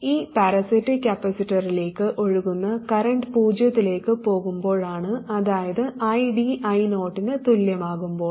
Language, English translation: Malayalam, When does it reach steady state, that's when this current going into the parasitic capacity is 0, that is when ID equals I 0